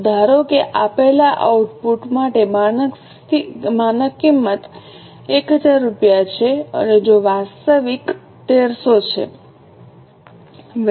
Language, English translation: Gujarati, So, suppose for a given output the standard cost is 1,000 rupees and if actual is 1,300